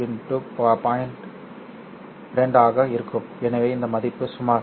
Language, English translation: Tamil, 2 so this value is about about 0